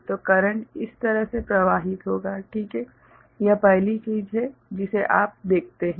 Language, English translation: Hindi, So, the current will be flowing in this way in this manner ok, this is the first thing you observe